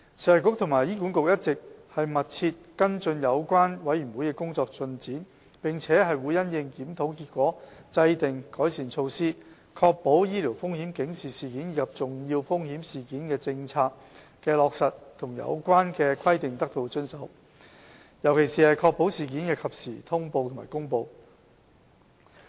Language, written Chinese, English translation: Cantonese, 食衞局和醫管局一直密切跟進有關委員會的工作進展，並會因應檢討結果制訂改善措施，確保醫療風險警示事件及重要風險事件政策的落實和有關規定得到遵守，尤其是確保事件的及時通報和公布。, The Food and Health Bureau and HA are closely monitoring the progress of the panels and with reference to the findings will formulate improvement measures to ensure implementation and compliance of the Policy with particular emphasis on the timeliness of notification and announcement